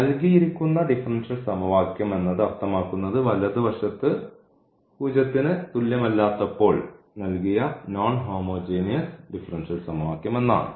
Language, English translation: Malayalam, So, the given differential equation means the given non homogeneous differential equation when the right hand side is not equal to 0